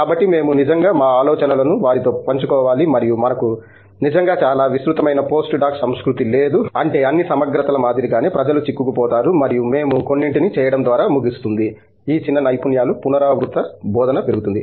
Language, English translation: Telugu, So, we have to actually shed our ideas with them and we don’t really have a very extensive post doc culture so that means, like all the integrities say something that people gets stuck on and we do end up doing some quite of like a repetitive teaching of these little skills